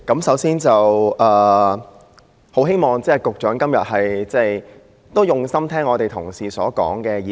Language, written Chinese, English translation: Cantonese, 首先，我希望局長今天用心聆聽議員同事的意見。, First of all I hope the Secretary will listen attentively to fellow Members opinions today